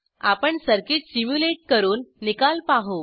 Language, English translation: Marathi, Now we will simulate this circuit and see the results